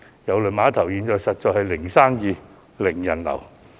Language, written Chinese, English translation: Cantonese, 郵輪碼頭現時實在是"零生意"、"零人流"。, At present the Cruise Terminal does not have any business or customer at all